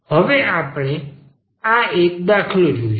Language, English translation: Gujarati, Now, we take this example of this kind